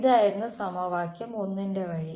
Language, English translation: Malayalam, This was equation the route for equation 1